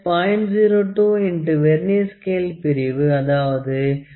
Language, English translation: Tamil, 02 into Vernier scale division; it is 49 plus 0